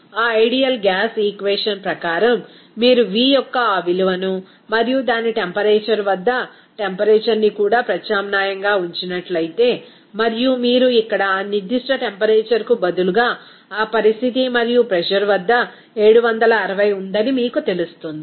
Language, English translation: Telugu, We can say that accordingly of that ideal gas equation if you substitute that value of V and also pressure at its temperature and also if you substitute that here for that particular temperature at that condition and pressure is there you know 760